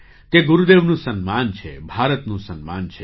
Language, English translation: Gujarati, This is an honour for Gurudev; an honour for India